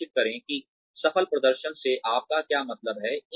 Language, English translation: Hindi, Make sure, what you mean by successful performance